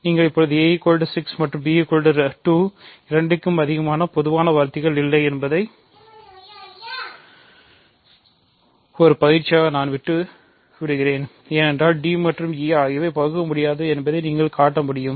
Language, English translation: Tamil, So, you now; I will leave this as an exercise show that a which is 6 and b which is 2 plus have no greatest common divisor, that is because you can show that d and e are irreducible